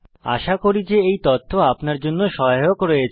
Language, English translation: Bengali, Hope you find this information helpful